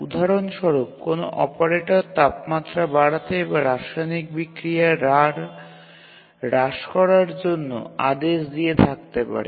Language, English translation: Bengali, For example, let's say an operator gives a command, let's say to increase the temperature or to reduce the rate of chemical reaction